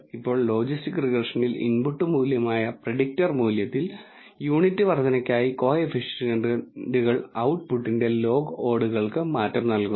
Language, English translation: Malayalam, Now in logistic regression the coefficients gives you the change in log odds of the output for a unit increase in the predictor value which is the input value